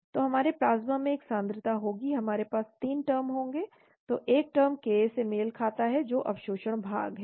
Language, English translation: Hindi, So we will have a concentration in the plasma we will have 3 terms, so one term corresponds to the ka that is the absorption part